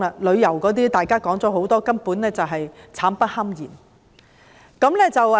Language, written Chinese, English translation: Cantonese, 旅遊業方面，大家說了很多，根本就是苦不堪言。, In the tourism industry which we have said much about the suffering is downright indescribable